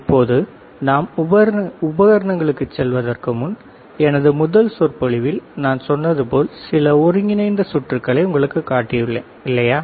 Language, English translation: Tamil, Now, before we go to the equipment, like I said in my first lecture, I have shown you few integrated circuits, isn't it